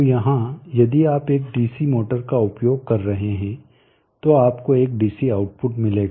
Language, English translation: Hindi, So here if you are using a DC motor and you will get a DC output